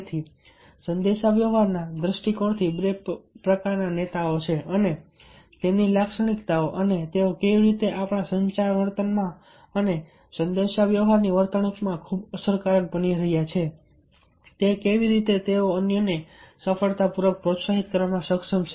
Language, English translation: Gujarati, but today i shall be focusing mainly so for as the, from communication point of view, two types of leaders and their characteristics and how they are becoming very effective in our communication behavior and through communication behavior, how they are able to motivate others successfully